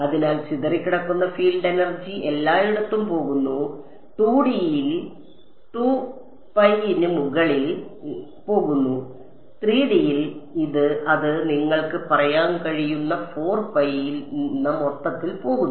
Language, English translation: Malayalam, So, the scattered field energy is going everywhere, in 2 D its going over 2 pi, in 3 D its going over the entire 4 pi you can say